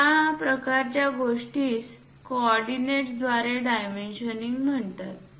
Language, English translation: Marathi, This kind of thing is called dimensioning by coordinates